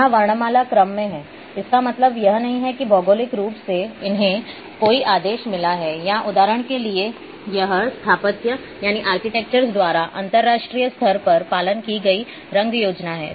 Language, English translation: Hindi, Here in alphabetical order that does not mean that geographically they have got any order or nothing for example,this is the colour scheme which be a followed is an internationally followed colour scheme by the architectures